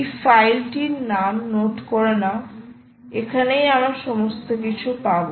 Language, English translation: Bengali, please note this file name and this is all part you are going to do